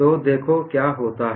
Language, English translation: Hindi, So, this is what happens